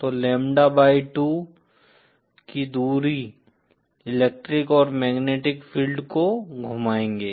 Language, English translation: Hindi, So lambda by two separation will cause electric fields and the magnetic fields to rotate